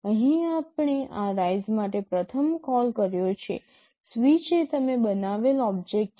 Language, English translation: Gujarati, Here we have first made a call to this rise, switch is the object you have created